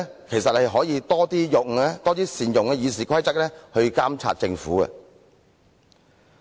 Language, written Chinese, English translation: Cantonese, 其實，他可以多善用《議事規則》來監察政府。, In fact he could have made good use of RoP more often to monitor the Government